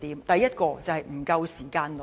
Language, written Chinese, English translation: Cantonese, 第一，就是不夠時間論。, First about the argument of insufficient time for discussion